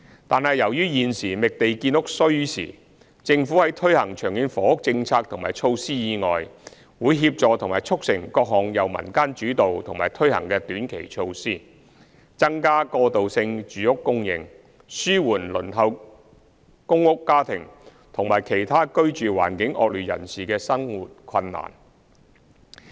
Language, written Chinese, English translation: Cantonese, 但是，由於現時覓地建屋需時，政府在推行長遠房屋政策及措施以外，會協助及促成各項由民間主導及推行的短期措施，增加過渡性住屋供應，紓緩輪候公屋家庭，以及其他居住環境惡劣人士的生活困難。, However as it takes time to identify land for housing construction the Government will support and facilitate the implementation of various short - term initiatives put forward and carried out by the community on top of the Governments long - term housing policy and measures so as to increase supply of transitional housing and alleviate the hardship faced by families awaiting PRH and the inadequately housed